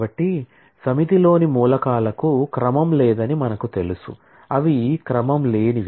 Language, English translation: Telugu, So, we know the elements in a set are do not have any ordering, they are unordered